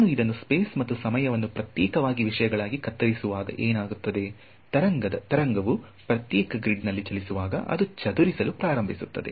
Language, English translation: Kannada, So, when I do this chopping up off space and time into discrete things what happens is that, as a wave travels on a discrete grid it begins to disperse; you want the wave